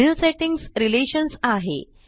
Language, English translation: Marathi, Next setting is Relations